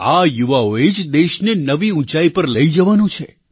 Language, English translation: Gujarati, These are the very people who have to elevate the country to greater heights